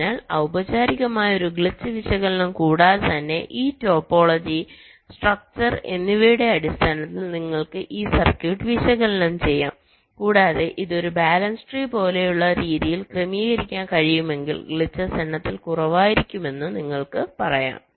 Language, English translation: Malayalam, so even without a formal glitch analysis, you can analyze this circuit in terms of this topology, the structure, and you can say that if we can structure it in a way where it is like a balance tree, glitches will be less in number